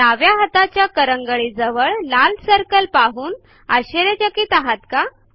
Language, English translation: Marathi, Wondering what the red circle of the left hand little finger is